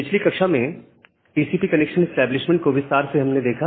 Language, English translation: Hindi, So, in the last class, we have looked into the details of TCP connection establishment